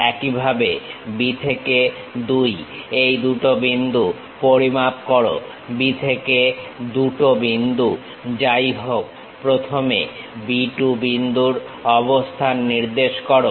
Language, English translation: Bengali, Similarly, measure this 2 point from B to 2, whatever B to 2 point first locate B 2 point